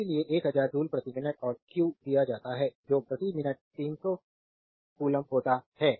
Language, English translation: Hindi, So, 1000 joule per minute and q is given that 300 coulomb per minute